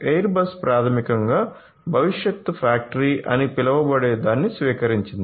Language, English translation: Telugu, So, I you know Airbus basically has adopted something known as the factory of the future